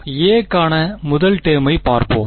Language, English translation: Tamil, So, let us look at the first term for a